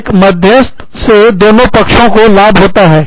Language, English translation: Hindi, An arbitrator benefits, from both sides